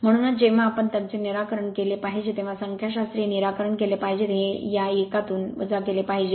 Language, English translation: Marathi, That is why this has to be you have to be when we solve their solve the numerical this has to be subtracted from this one right